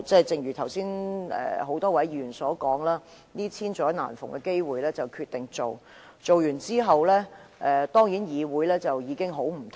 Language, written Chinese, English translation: Cantonese, 正如剛才多位議員所說，這是千載難逢的機會，他們決定提出修訂，而完成之後，議會當然會大為不同。, As mentioned by various Members just now given this golden opportunity they decided to propose an amendment exercise . After it is completed the Council will certainly become vastly different